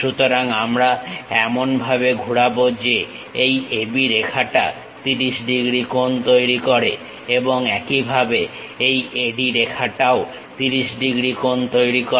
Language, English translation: Bengali, So, we rotate in such a way that AB lines this makes 30 degrees and similarly, AD line also makes 30 degrees